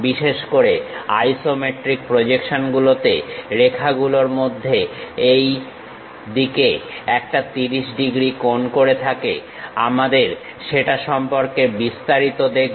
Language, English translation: Bengali, Especially isometric projections one of the lines makes 30 degrees angle on these sides; we will see more about that